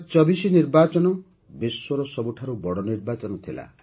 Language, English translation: Odia, The 2024 elections were the biggest elections in the world